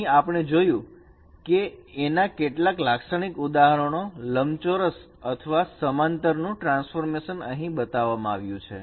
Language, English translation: Gujarati, The representation we have seen that some typical examples of this transformation of a rectangle or a parallel gram has been shown here